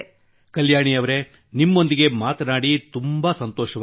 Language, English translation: Kannada, Well Kalyani ji, it was a pleasure to talk to you